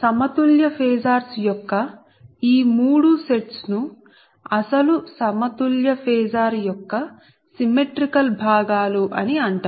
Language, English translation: Telugu, so therefore these three sets of balanced phasors are called symmetrical components of the original unbalanced phasor